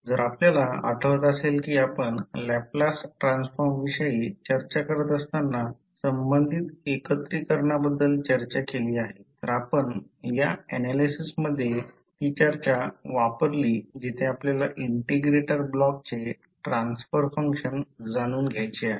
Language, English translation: Marathi, So, if you recall we discussed about the integration related when we were discussing about the Laplace transform so we used that discussion in this particular analysis where we want to find out the transfer function of the integrator block